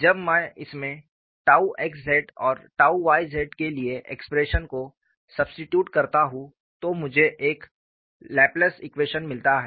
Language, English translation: Hindi, When I substitute the expression for tau xz and tau yz in this, I get a Laplace equation